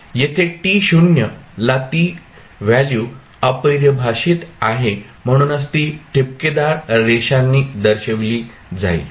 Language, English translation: Marathi, At t naught it is undefined so that is why it is shown as a dotted line